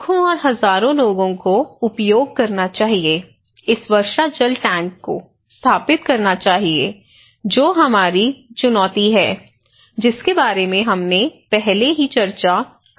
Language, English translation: Hindi, So, millions of people; thousands and thousands of people should use; should install this rainwater tank that is our challenge that we already discussed about